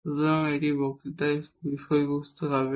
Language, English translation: Bengali, So, that will be the content of the next lecture